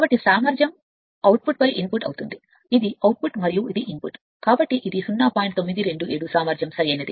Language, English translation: Telugu, So, efficiency will be output by input we just this is output and this is your input, so it is 0927 efficiency right